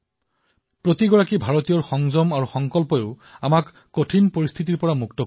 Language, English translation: Assamese, The determination and restraint of each Indian will also aid in facing this crisis